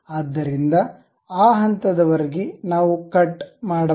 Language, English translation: Kannada, So, up to that level we can have a cut